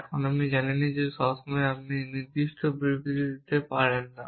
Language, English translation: Bengali, Now, you know that not all the time we can make definitive statement